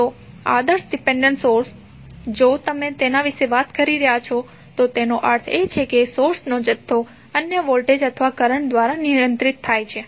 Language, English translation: Gujarati, So, ideal dependent source if you are talking about it means that the source quantity is controlled by another voltage or current